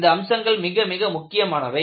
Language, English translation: Tamil, These features are very important